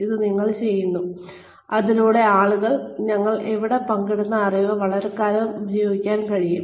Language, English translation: Malayalam, We are doing this, so that, people are able to make use of the knowledge, that we are sharing here, for a long time to come